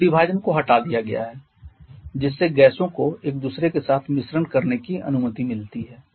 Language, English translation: Hindi, Now, the partition has been removed allowing the gases to mix with each other